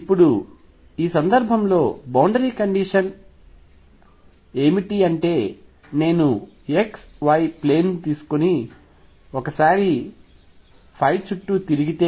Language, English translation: Telugu, Now, what is the boundary condition in this case this is if I take the x y plane and let phi go around once